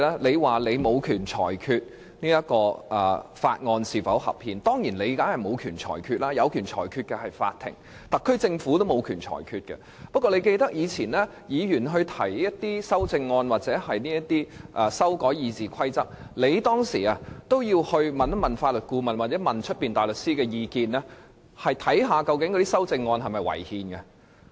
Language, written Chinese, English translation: Cantonese, 你說你沒有權裁決這項《廣深港高鐵條例草案》是否合憲，你當然沒有權作裁決，因為只有法院才有權，連特區政府也沒有權，但我相信你也會記得，以往議員提出修正案或要求修改《議事規則》，你也有徵詢法律顧問或外間大律師的意見，看看那些修正案是否違憲。, You said you did not have the authority to rule on the constitutionality of the Guangzhou - Shenzhen - Hong Kong Express Rail Link Co - location Bill the Bill; you are certainly not empowered to make the ruling because only the court has the authority to do so . Even the SAR Government does not have such authority . That said I think you may recall that when Members proposed amendments or requested to amend the Rules of Procedure RoP in the past you did consult the Legal Adviser or outside counsel on the constitutionality of the relevant amendments